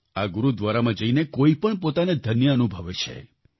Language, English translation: Gujarati, Everyone feels blessed on visiting this Gurudwara